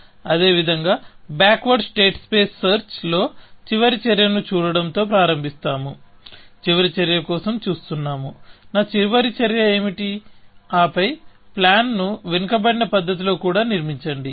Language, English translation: Telugu, In backward state space search, in the likewise manner, we start looking at the last action, looking for the last action; what could be my last action, and then, also construct the plan in a backward